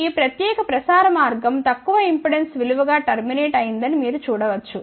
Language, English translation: Telugu, You can see that this particular transmission line is terminated into a low impedance value